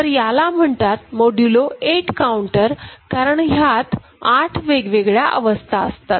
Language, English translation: Marathi, And it is a modulo 8 counter, because 8 distinct states are there